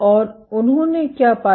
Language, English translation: Hindi, And what they found